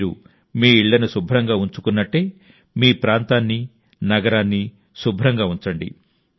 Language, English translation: Telugu, Just as you keep your houses clean, keep your locality and city clean